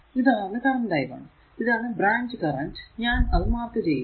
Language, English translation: Malayalam, So, these branch current is this is your i 1 , this is marked here, right